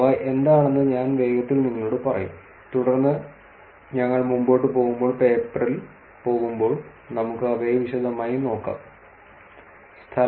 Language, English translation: Malayalam, I will just tell you quickly what they are and then when we go into the paper as we move forward, we can actually look at them in details